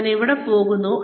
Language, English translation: Malayalam, Where am I going